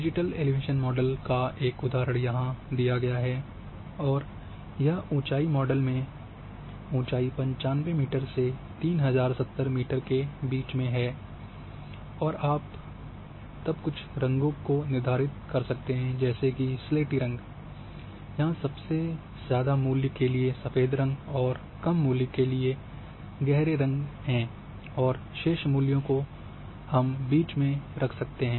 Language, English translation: Hindi, One of the examples for digital elevation model is given here, in a in a and this elevation model is having elevation ranges between 95 meter to 3070 meter and you can then assign some colours of shades of grey, like here for highest value white color for lowest value dark colour and rest of the values are in between